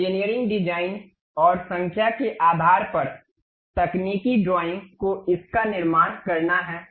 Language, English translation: Hindi, Based on the engineering designs and numbers, the technical drawing one has to construct it